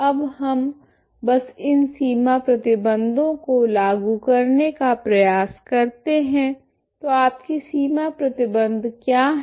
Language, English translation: Hindi, Now we simply we try to apply these boundary conditions ok, so what is your boundary conditions